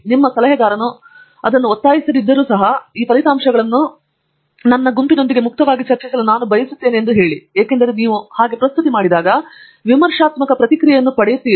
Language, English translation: Kannada, Even if your advisor does not insist on it, you say that I would like to discuss this results in the open with my group mates because and hope that you will get a critical feedback and very often you will get a critical feedback